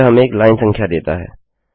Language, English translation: Hindi, It gives us a line number